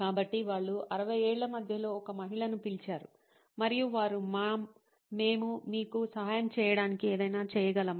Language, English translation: Telugu, So, they called up a lady in her 60’s, mid 60’s maybe and they said, ‘Ma’am, can we do something to help you